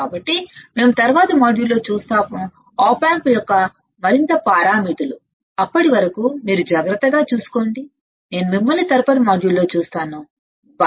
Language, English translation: Telugu, So, we will see in the next module, the further parameters of the op amp, till then, you take care, I will see you in the next module, bye